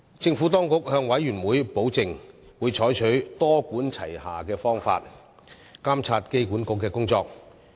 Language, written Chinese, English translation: Cantonese, 政府當局向事務委員會保證，會採取多管齊下的方法監察機管局的工作。, The Panel was assured that the Administration had adopted a multi - pronged approach in monitoring the work of AAHK